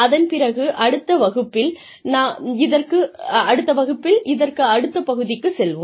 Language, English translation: Tamil, And then, we will move on to the next part, in the next class